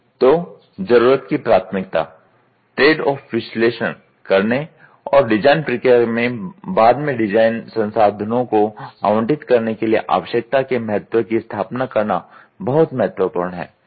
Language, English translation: Hindi, So, need prioritisation; the establishment of need importance is critical in making a trade off analysis and allocating design resources later on in the design process